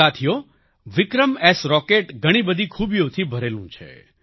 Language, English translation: Gujarati, Friends, 'VikramS' Rocket is equipped with many features